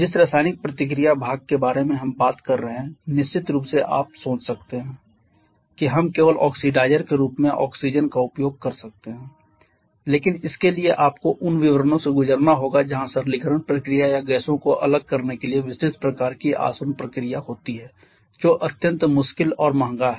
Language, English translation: Hindi, The chemical reaction part that we are talking about we of course you can think that we can only use oxygen as the oxidizer but for that you need to go through details where simplification process or rather detailed kind of distillation process to separate the gases which is extremely difficult and expensive